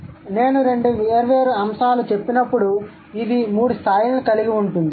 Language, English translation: Telugu, Okay, so these, when I say two different aspects, it will have three levels